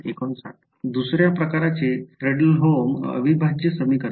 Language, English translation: Marathi, Fredholm integral equation of the second kind